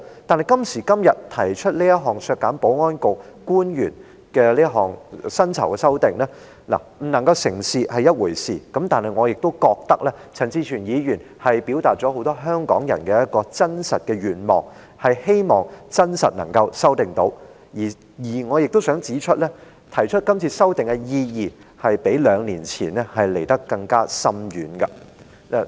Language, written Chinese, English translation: Cantonese, 但今時今日提出這項削減保安局官員薪酬的修正案，不能成事是一回事，但我覺得陳志全議員畢竟表達了很多香港人的一個真實願望，便是希望能夠修訂議案；而我亦想指出，今次提出修正案的意義較兩年前更為深遠。, However leaving aside the fact that this amendment proposed today to deduct the emoluments of the Security Bureau officials will fall through I think Mr CHAN Chi - chuen has after all expressed a genuine wish of many Hong Kong people namely to amend the Bill . I would also like to point out that the significance of this proposed amendment is more far - reaching than the one two years ago